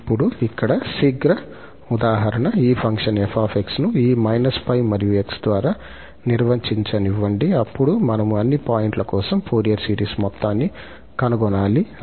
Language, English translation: Telugu, Well, now just a quick example here, let this function f be defined by this minus pi and x, then we have to find the sum of the Fourier series for all points